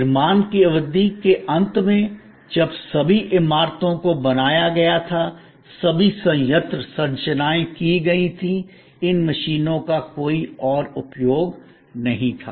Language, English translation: Hindi, At the end of the construction period, when all the buildings were done, all the plant structures were done, these machines had no further use